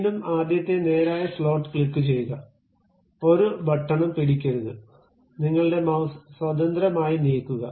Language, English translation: Malayalam, Again, first straight slot, click, do not hold any button, just freely move your mouse